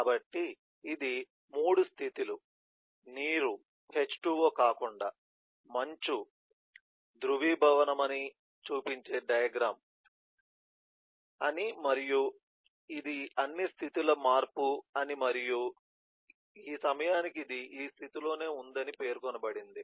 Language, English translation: Telugu, so it says that, eh, this is a diagram showing that there are 3 states eh of eh, water, h20, rather ice melting and water eh, and this, eh, this is all the state change and it remains in this state for this duration